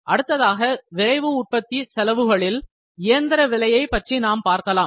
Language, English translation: Tamil, First cost in rapid manufacturing, we can call it machine cost